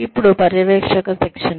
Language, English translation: Telugu, Then, supervisory training